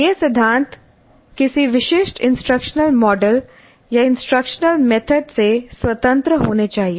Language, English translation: Hindi, Now these principles are to be independent of any specific instructional model or instructional method